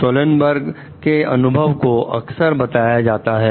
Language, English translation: Hindi, Sullenberger s experiences commonly mentioned